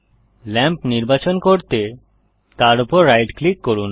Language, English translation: Bengali, Right click the lamp to select it